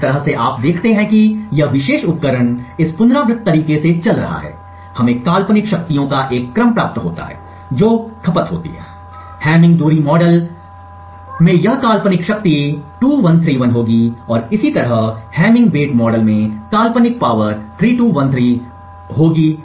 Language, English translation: Hindi, So in this way you see as this particular device is operating on in this iterative manner, we get a sequence of hypothetical powers that are consumed, this hypothetical power in the hamming distance model would be 2 1 3 1 and so on, in the hamming weight model this hypothetical power would be 3 2 1 3 and so on